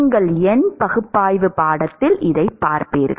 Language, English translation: Tamil, You will see this in your numerical analysis course